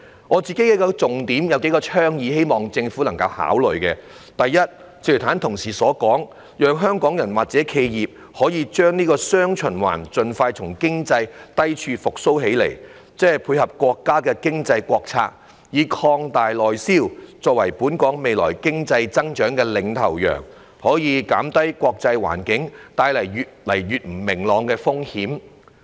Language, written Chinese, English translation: Cantonese, 我有幾項重點及倡議，希望政府能夠考慮：第一，正如剛才同事所說，港人及企業需把握"雙循環"，盡快從經濟低處復蘇，配合國家經濟政策以擴大內銷作為本港未來經濟增長的"領頭羊"，藉此可以減低越來越不明朗的國際環境所帶來的風險。, I have a few key points and proposals that I hope the Government will consider First as colleagues have just said Hong Kong people and enterprises must seize the opportunities arising from the dual circulation to recover from the economic downturn as soon as possible and lead Hong Kongs future economic growth by expanding domestic sales following the countrys economic policy thereby reducing the risks brought about by the increasingly uncertain international environment